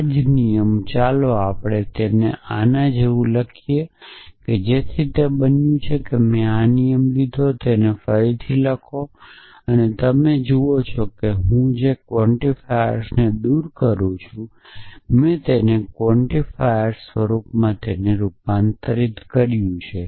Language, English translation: Gujarati, So, this same rule let us write it like this so what is happened I have taken this rule and rewritten it like this are you I have away the quantifiers I have convert it to an implicit quantifier form